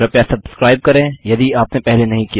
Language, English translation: Hindi, Please subscribe if you havent already